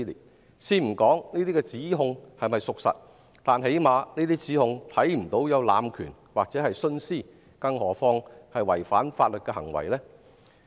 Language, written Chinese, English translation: Cantonese, 我先不談這些指控是否屬實，但最低限度，在這些指控中看不到濫權或徇私，更莫說是有違反法律的行為了。, I will not talk about whether these allegations are true but at the very least no abuse or favouritism is seen in these allegations let alone breaches of law